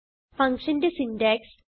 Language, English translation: Malayalam, Let us see the syntax for function